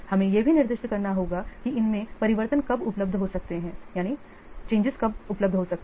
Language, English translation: Hindi, You have to also specify when changes to these marks become available